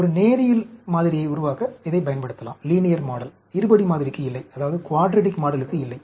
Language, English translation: Tamil, We can use it to develop a linear model, not a quadratic model